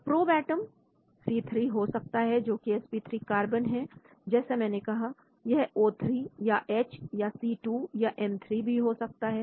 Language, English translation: Hindi, So the probe atom could be C3 that is the sp3 carbon like I said it can be a O3 or H or C2 or N3